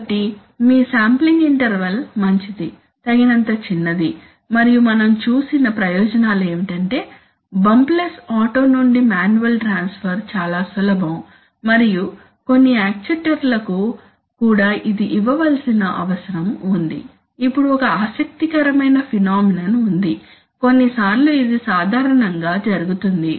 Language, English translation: Telugu, So your sampling interval should be good, small enough, and the advantages as we have seen is that is very simply possible to give bump less auto manual transfer and also for some actuators it is what needs to be given, now there is an interesting phenomenon that happens is that sometimes generally this